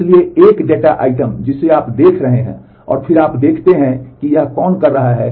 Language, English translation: Hindi, So, a is the data item you are looking at and then you see who is doing it